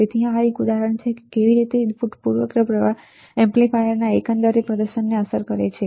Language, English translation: Gujarati, So, this is an example how the input bias current affects the overall performance of the amplifier